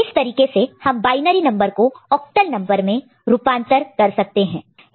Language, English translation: Hindi, So, this is way from binary to octal conversion can be done